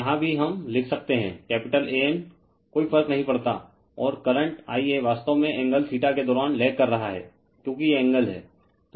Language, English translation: Hindi, So, here also we can write capital A N does not matter , and the current I actually is lagging while angle theta because these angle is theta right